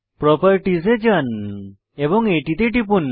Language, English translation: Bengali, Navigate to Properties and click on it